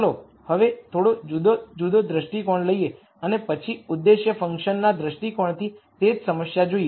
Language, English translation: Gujarati, Now, let us take a slightly different viewpoints and then look at the same problem from an objective function viewpoint